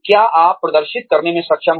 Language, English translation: Hindi, What you are able to demonstrate